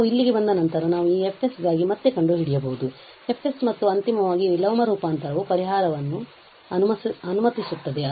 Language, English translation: Kannada, Once we are here we can again find for this F s, the expression for F s and finally the inverse transform will allow the solution